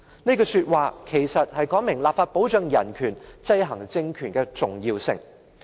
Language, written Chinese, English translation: Cantonese, "這句話說明立法保障人權、制衡政權的重要性。, This quote explains the importance of legislating for protection of human rights and checks and balances on the political regime